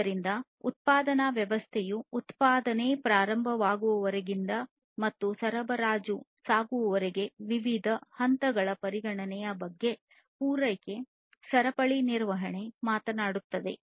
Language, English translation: Kannada, So, supply chain management talks about consideration of the different stages through which the production system starting from the production till the supply goes through